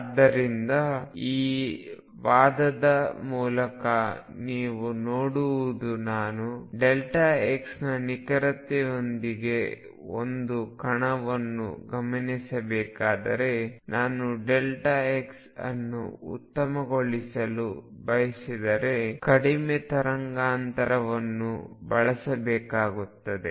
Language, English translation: Kannada, So, what you see through this argument is that if I were to observe a particle with an accuracy of delta x, if I want to make delta x better and better I have to use shorter and shorter wavelength